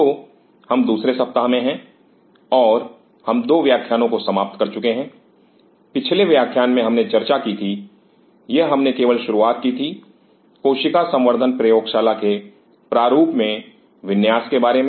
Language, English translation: Hindi, So, we are into the second week and we have finished 2 lectures in the last lecture we talked about the or rather started talking about the layout in the design of the cell culture lab